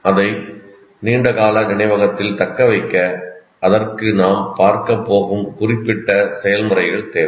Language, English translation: Tamil, Even to retain it in the long term memory require certain processes and that's what we will look at it